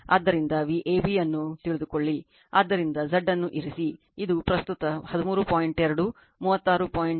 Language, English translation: Kannada, So, you know V AB, so put Z, you will get this is the current 13